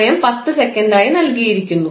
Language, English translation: Malayalam, Time is given as 10 seconds